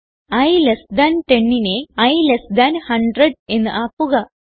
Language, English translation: Malayalam, And i less than 10 to i less than 100